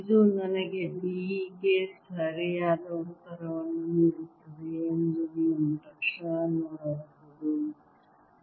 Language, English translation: Kannada, you can immediately see this gives me the right answer for b